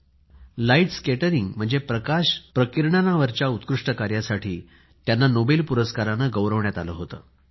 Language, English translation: Marathi, He was awarded the Nobel Prize for his outstanding work on light scattering